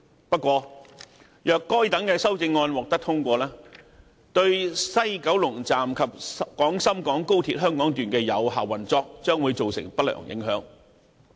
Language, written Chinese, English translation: Cantonese, 不過，如果該些修正案獲得通過，對西九龍站及廣深港高鐵香港段的有效運作將會造成不良影響。, However if these amendments were passed there would be adverse consequences to the effective operation of WKS and XRL